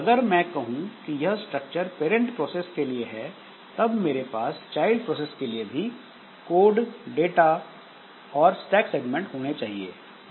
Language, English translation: Hindi, So, if I say that this structure corresponds to the parent process, then for the child process also I should have the code data and stack segments